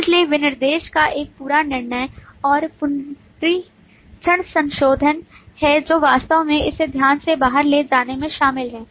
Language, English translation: Hindi, So there is a whole lot of judgment and re understanding, revision of the specification that is involved in actually carrying this out carefully